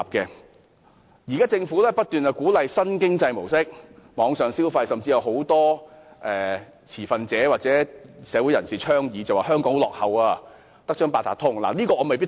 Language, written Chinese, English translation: Cantonese, 雖然現時政府不斷鼓勵新經濟模式和網上消費，但很多持份者或社會人士說香港在這方面很落後，只有八達通，對此我未必贊同。, Although the Government now keeps encouraging the new economic mode and online consumption many stakeholders or members of the public say that Hong Kong lags far behind in this respect as we only have Octopus . I might not agree to this comment